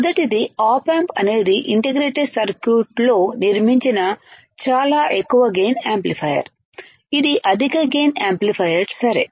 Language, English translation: Telugu, First is op amp is a very high gain amplifier fabricated on a integrated circuit; this is a high gain amplifier ok